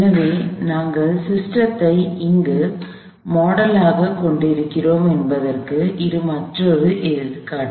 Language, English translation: Tamil, So, this is another example of where we model the system